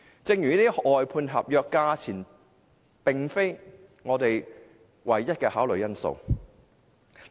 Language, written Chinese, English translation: Cantonese, 就這些外判合約而言，價錢並非我們唯一的考慮因素。, This is an extreme example . Regarding these outsourced contracts the price is not our sole consideration